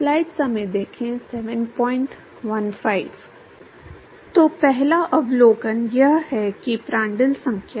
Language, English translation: Hindi, So, the first observation is that the Prandtl number